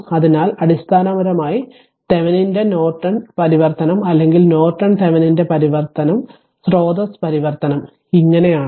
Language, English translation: Malayalam, So, basically Thevenin’s Norton transformation or Norton Thevenin’s transformation right source transformation is so